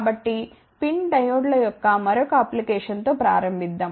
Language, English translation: Telugu, So, let us start with the another application of PIN diodes